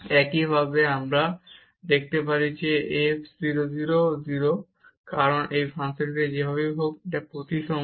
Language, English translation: Bengali, And similarly we can show that f y at 0 0 is also 0, because this function is symmetric anyway